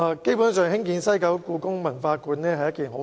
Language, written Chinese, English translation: Cantonese, 基本上，興建故宮館是一件好事。, Basically building HKPM is a good thing